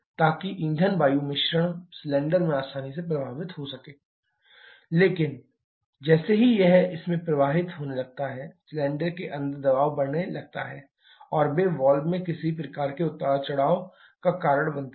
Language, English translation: Hindi, So, that the fuel air mixture can flow easily into the cylinder, but as soon as it starts flowing into this, the pressure inside the cylinder starts to increase and they by causing some kind of fluctuations to the valve